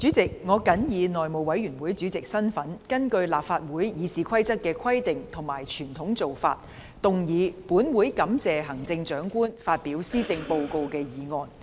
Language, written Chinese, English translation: Cantonese, 主席，我謹以內務委員會主席的身份，根據立法會《議事規則》的規定和傳統做法，動議"本會感謝行政長官發表施政報告"的議案。, President in my capacity as Chairman of the House Committee I move the motion That this Council thanks the Chief Executive for her Address in accordance with the traditional practice and the Rules of Procedure of the Legislative Council . The Motion of Thanks does not take any direction